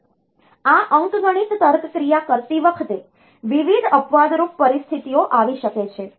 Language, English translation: Gujarati, Now while doing this arithmetic logic operation, various exceptional situations can occur